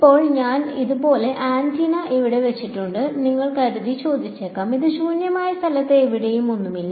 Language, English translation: Malayalam, Now, you might ask supposing I put an antenna like this over here, and it is in free space absolutely nothing anywhere